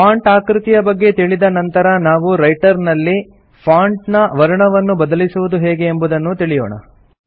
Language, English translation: Kannada, After learning about the font size, we will see how to change the font color in Writer